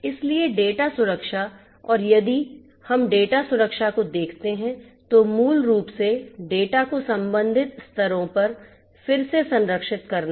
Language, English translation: Hindi, So, data protection and so if we look at the data protection, then basically the data has to be protected at again the respective levels